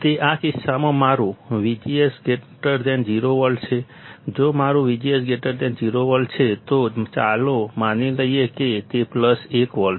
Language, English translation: Gujarati, That is in this case my V G S is greater than 0 volt, V G S is greater than 0 volt; If my V G S is greater than 0 volt, let us assume it is plus 1 volt